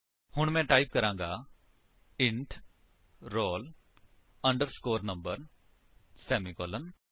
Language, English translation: Punjabi, So, I will type int roll underscore number semicolon